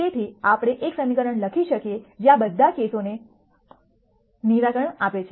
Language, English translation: Gujarati, So, that we can write one equation which solves all of these cases square rectangular cases and so on